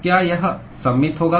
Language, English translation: Hindi, Will it be symmetric